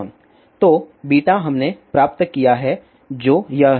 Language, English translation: Hindi, So, beta we have derived which is this one